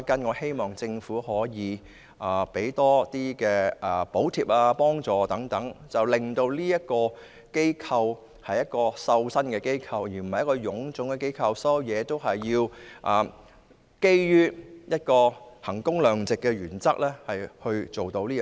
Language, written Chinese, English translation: Cantonese, 我希望政府提供多些補貼或財政支援，令旅監局是一個精簡的機構，而不是臃腫的機構，基於衡工量值的原則而行事。, I hope that the Government will provide more subsidies or financial support and TIA will be a streamlined rather than an overstaffed organization and it will act under the principle of value for money